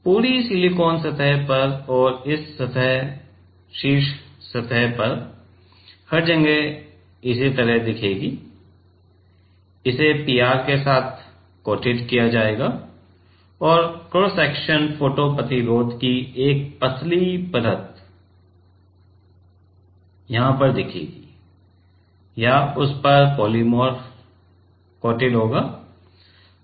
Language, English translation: Hindi, Over the total silicon surface and this is how the top surface will look like everywhere it will be coated with PR and the cross section will look like a thin layer of photo resist or polymer will be coated on that